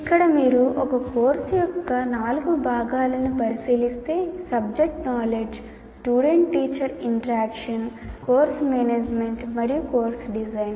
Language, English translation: Telugu, So here if you look at these four components of course design, subject knowledge, student teacher interaction, course management we talked about, and course design